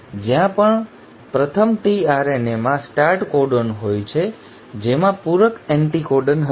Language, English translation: Gujarati, Wherever there is a start codon the first tRNA which will have the complementary anticodon